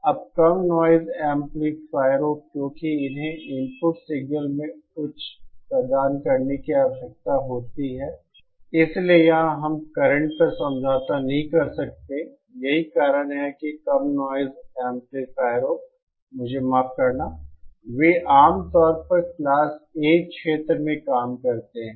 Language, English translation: Hindi, (Refer SlideTime: Now low noise amplifiers because they need to provide high in the input signal, so here we cannot compromise on current, so that is why low noise amplifiersÉ Excuse meÉ They usually operate in the Class A region